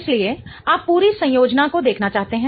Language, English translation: Hindi, So, you want to look at the whole connectivity